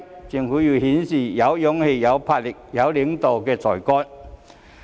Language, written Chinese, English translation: Cantonese, 政府要顯示有勇氣，有魄力，有領導的才幹。, The Government must show its courage boldness and leadership